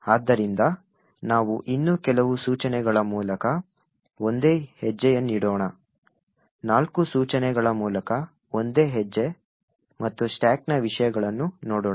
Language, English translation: Kannada, So, let us single step through a few more instructions let us say the single step through four instructions and look at the contents of the stack